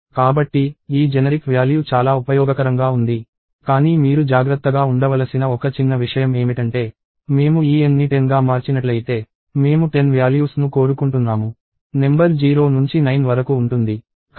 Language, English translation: Telugu, So, this generic value is very useful, but one small thing that you have to be careful about is that if I change this n to let us say 10, I expect 10 values; numbered 0 to 9